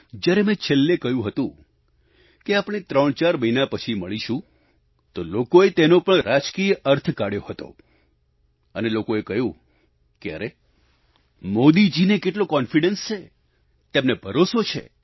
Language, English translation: Gujarati, When it was about to end, I had stated that we would meet once again after 3 or 4 months, people assigned a political hue to it, saying 'Hey, Modi ji is so full of confidence, he is certain